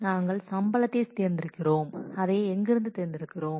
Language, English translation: Tamil, We are selecting salary and where are we selecting it from